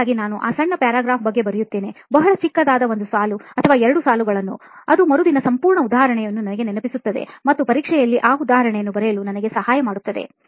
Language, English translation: Kannada, So I just write about that short para, very short one line or two lines, which will recollect me the entire example the next day and which will help me to write down that example in the exam